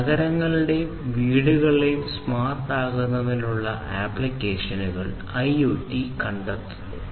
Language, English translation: Malayalam, So, IoT finds applications in making cities and homes smart